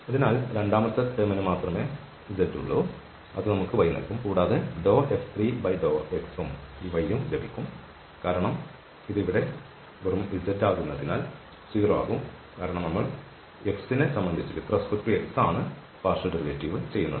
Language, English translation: Malayalam, So, only the second term has z which will give us y and this del F3 over del x will also get this y the same because here this is just z which will become 0 because we are making this partial derivative with respect to x